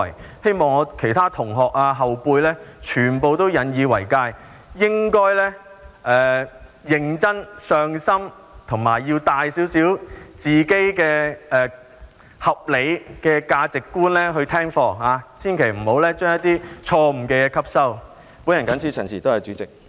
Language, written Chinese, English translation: Cantonese, 我希望其他同學和後輩都引以為誡，應該認真、上心及帶着合理的價值觀聽課，千萬不要吸收一些錯誤的思想。, I hope that other classmates and junior students would draw lessons from him listen to the lessons seriously attentively and with reasonable values but they should never absorb some wrong ideas